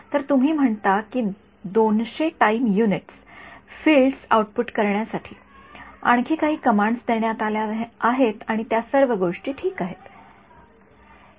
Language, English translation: Marathi, So, you say 200 time units some more commands are given to output the fields and all of those things ok